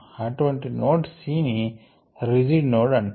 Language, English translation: Telugu, such a node c is called a rigid node